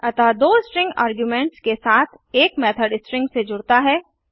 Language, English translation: Hindi, So the add method with two string arguments, appends the string